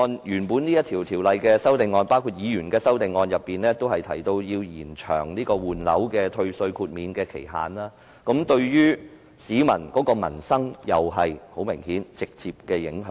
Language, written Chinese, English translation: Cantonese, 有關《條例草案》的修正案，包括議員提出的修正案均建議延長換樓退稅的豁免期限，對民生很明顯有直接影響。, The amendments to the Bill including amendments proposed by Members to extend the time limit for property replacement under the refund mechanism obviously have a direct bearing on peoples livelihood